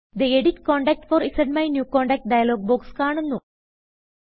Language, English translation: Malayalam, The Edit Contact For ZMyNewContact dialog box appears